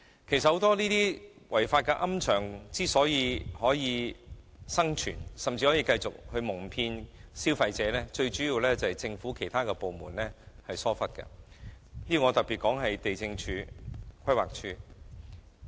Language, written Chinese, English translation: Cantonese, 其實，很多違規龕場之所以能生存甚至繼續蒙騙消費者，主要是由於其他政府部門疏忽所致，我特別指地政總署和規劃署。, In fact the major reason why so many unauthorized columbaria are able to survive and even continue to cheat consumers is due to negligence on the part of some government departments particularly the Lands Department LandsD and the Planning Department PlanD